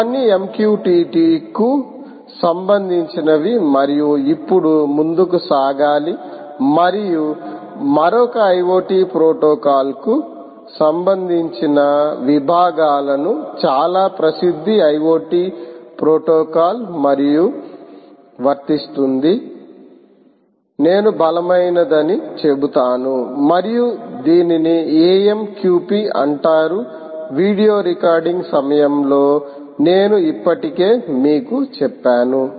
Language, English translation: Telugu, all this was with respect to all this was with respect to the mqtt right and now will have to move on, and also covers sections related to another iot protocol, very, very famous iot protocol, ah, and very, i would say, robust one, and this is called amqp, as i already mentioned to you during the recording of the video